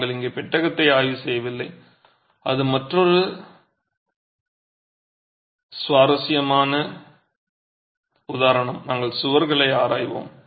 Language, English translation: Tamil, We are not examining the vault here, that is another interesting example and we will keep it for another day